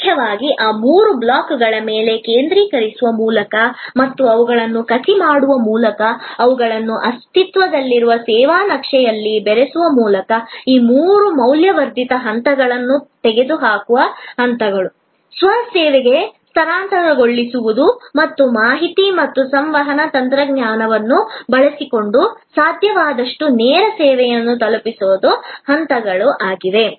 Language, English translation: Kannada, By mainly focusing on these three blocks and grafting them, blending them in to the existing service map, this three steps of eliminating non value added steps, shifting to self service and delivering direct service as much as possible using information and communication technology